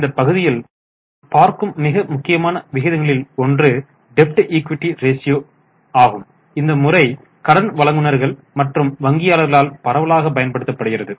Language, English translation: Tamil, One of the most important ratios in this segment is debt equity ratio which is extensively used by lenders or bankers